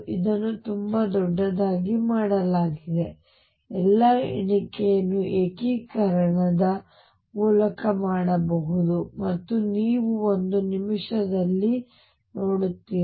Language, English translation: Kannada, So, large that all the counting can be done through integration and you will see in a minute